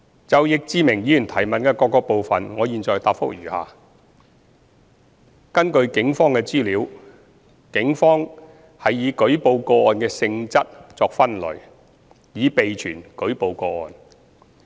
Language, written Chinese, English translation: Cantonese, 就易志明議員質詢的各個部分，我現答覆如下：一根據警方的資料，警方是以舉報個案的性質作分類，以備存舉報個案。, My reply to the various parts of Mr Frankie YICKs question is as follows 1 According to the Police they classify the reported cases by the case nature so as to keep the relevant cases in their records